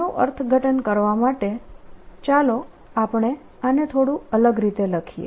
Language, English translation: Gujarati, to interpret this, let us write it slightly differently